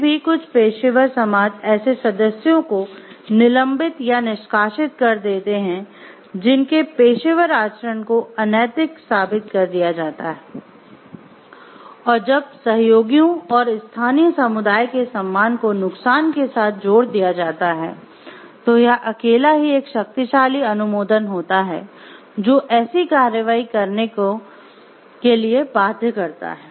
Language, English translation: Hindi, Yet some professional societies do suspend or expel members whose professional conduct has been proven unethical and this alone can be a powerful sanction when combined with the loss of respect from colleagues and the local community that such action is bound to produce